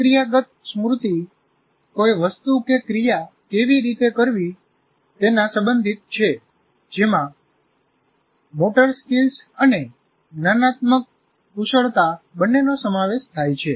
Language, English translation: Gujarati, Procedural memory is all, all of you are familiar with, is related to how to do something which involves both motor and cognitive skills